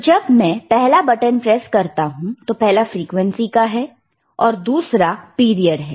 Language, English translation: Hindi, So, when we press the first button, first is your frequency, and another one is your period